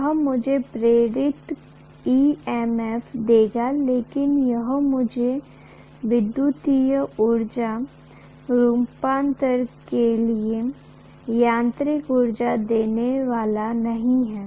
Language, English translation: Hindi, That will also give me induced EMF but that is not going to give me mechanical to electrical energy conversion, definitely not